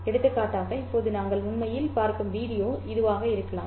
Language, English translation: Tamil, It could be the video that you are actually viewing now, right now